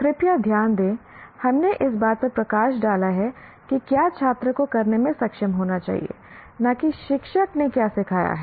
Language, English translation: Hindi, Please note, we highlighted what the student should be able to do, not what the teacher has taught